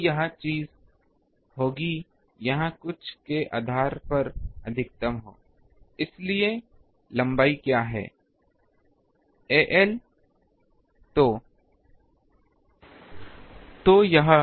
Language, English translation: Hindi, So, this thing will be maximum here some ah depending on the ah what is the length of the a